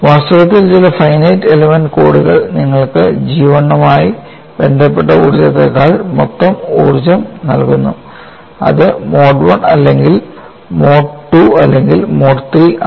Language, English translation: Malayalam, In fact, some of the finite element course provide, you the total energy rather than energy pertaining to G 1 that is mode 1 or mode 2 or mode 3